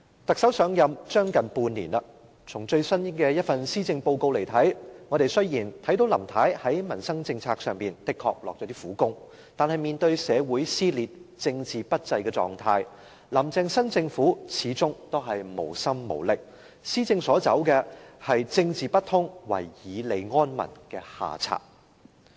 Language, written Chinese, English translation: Cantonese, 特首上任將近半年，從最新一份施政報告來看，雖然我們看到林太在民生政策方面的確下了一些苦功，但面對社會撕裂、政治不濟的狀態，"林鄭"新政府始終無心無力，施政所走的是"政治不通、唯以利安民"的下策。, It has been almost half a year since the Chief Executive assumed office . From the recent Policy Address we can see that Carrie LAM has really made some efforts in formulating policies on peoples livelihood but when facing social dissension and undesirable political climate her new governing team lacks the determination and ability to make a change and has resorted to the unsatisfactory tactic of offering advantages to pacify the public when there are problems in administration